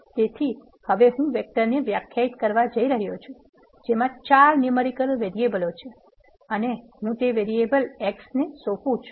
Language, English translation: Gujarati, So, now I am going to define a vector which is containing four numeric variables and I am assigning it to a variable X